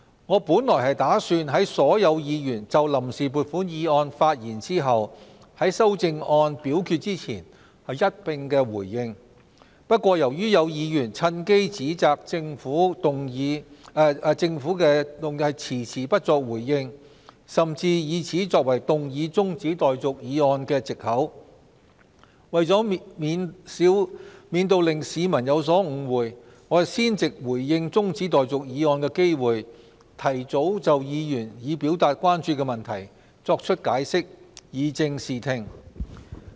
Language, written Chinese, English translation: Cantonese, 我本打算在所有議員就臨時撥款議案發言後，在修訂議案表決前才一併回應，但由於有議員趁機指責政府遲遲不作回應，甚至以此作為動議中止待續議案的藉口，為免令市民有所誤會，我先藉着這個回應中止待續議案的機會，提早就議員已表達關注的問題作出解釋，以正視聽。, Originally I intended to respond to all the views before the Vote on Account Resolution was put to vote after all Members had spoken on the resolution . But as some Members took the opportunity to accuse the Government of not responding to their views and some even used that as an excuse to move the adjournment motion I am now taking this opportunity to respond to the adjournment motion to answer Members questions and concerns in order to clear up any ambiguities and to avoid misunderstanding among the public